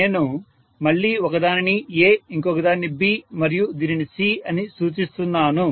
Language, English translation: Telugu, So now I can again mention one as A, one as B and one as C